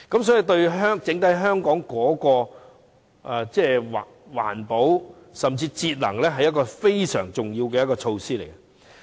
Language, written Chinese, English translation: Cantonese, 所以，對於整體香港的環保甚至節能，實是一項非常重要的措施。, Therefore this is indeed a vitally important measure of environmental protection and even energy savings in Hong Kong at large